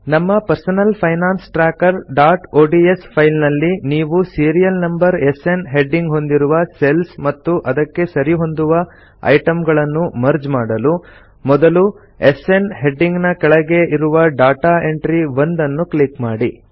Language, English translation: Kannada, In our personal finance tracker.ods file , if we want to merge cells containing the Serial Number with the heading SN and their corresponding items, then first click on the data entry 1 under the heading SN